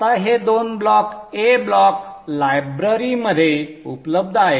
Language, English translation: Marathi, Now these two blocks are available in the A block library